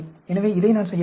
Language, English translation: Tamil, so, I can do this